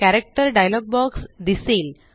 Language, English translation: Marathi, The Character dialog box is displayed